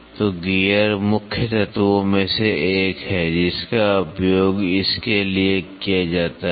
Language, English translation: Hindi, So, then gear is one of the main element which is used for it